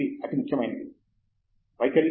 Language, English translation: Telugu, What is most important is attitude